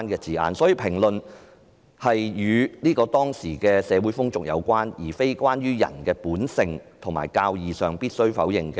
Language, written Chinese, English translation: Cantonese, 所以，他所評論的可能是當時的社會風俗，而並非關於在人的本性和教義中必要否定的"罪"。, Therefore his comment may be about the prevailing social customs rather than the sins that are definitely denounced by human nature and Christendom teachings